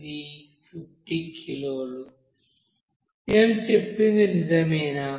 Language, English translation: Telugu, No this is 50 kg it is given, am I right